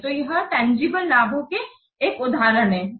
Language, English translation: Hindi, So this is an example of tangible benefits